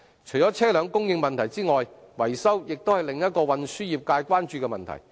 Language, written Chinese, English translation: Cantonese, 除了車輛供應問題外，維修亦是運輸業界關注的另一個問題。, Apart from the supply of vehicles maintenance is another concern of the transport trades